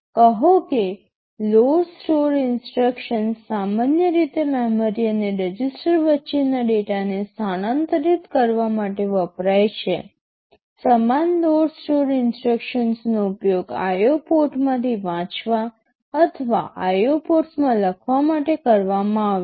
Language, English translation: Gujarati, Say load store instructions are typically used to transfer data between memory and register, the same load store instructions will be used for reading from IO port or writing into IO ports